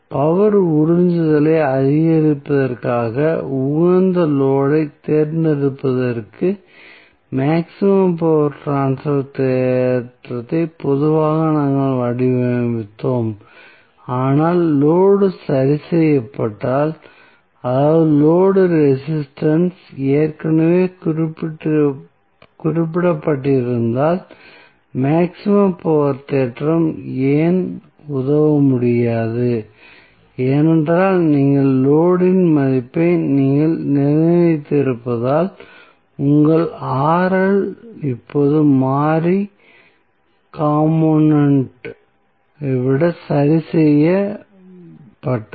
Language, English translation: Tamil, What happens that generally we designed the maximum power transfer theorem to select the optimal load in order to maximize the power absorption, but, if the load is fixed, that means, if the load resistance is already specified, then maximum power theorem will not be able to help why because, since you have fixed the value of load that is your Rl is now fixed rather than the variable component